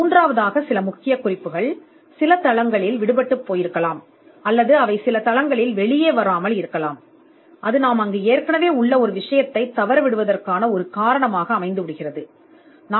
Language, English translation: Tamil, Thirdly, there could be some key references that are missed out in certain databases or which do not throw up in certain databases, and and it could be a reason for missing out something which was already there